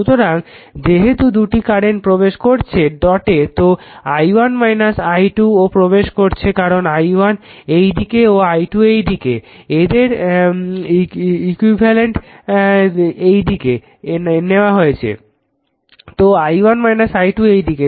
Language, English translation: Bengali, So, as the 2 currents are entering into the dot i1 minus i 2 entering into the because this this direction is i1 this direction is i 2, you have taken the resultant in this directions